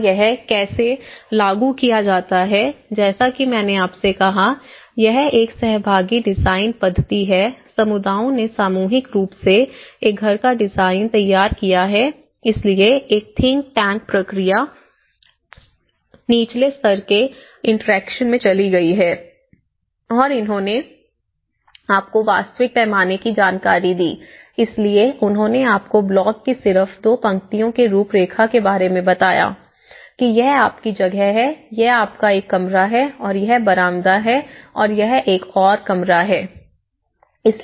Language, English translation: Hindi, And, how it is implemented as I said to you, it is a participatory design methodology the communities have collectively prepared a house design so a think tank process has went to the bottom level interactions and what they did was to get a real scale understanding so, they made about the outlines with just two lines of blocks you know, that this is going to be your space so you have this is your room and this is the veranda this is another room you know